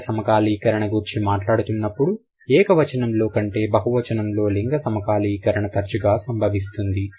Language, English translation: Telugu, It says gender syncretism in the plural is more frequent than the singular